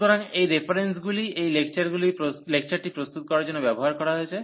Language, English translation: Bengali, So, these are the references used for preparing these lecturers